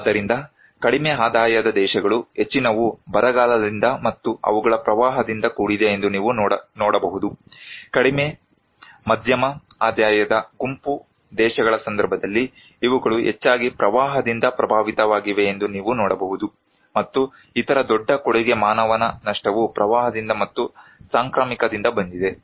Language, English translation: Kannada, So, low income countries you can see that most they are affected by drought and also their flood, in case of lower middle income group countries, you can see that these they are affected mostly by the flood, and the other bigger contribution of human losses came from flood and also from epidemic